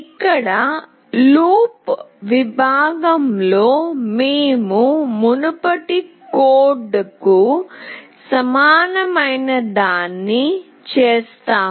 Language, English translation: Telugu, So here, is in the loop section we do something very similar to the previous code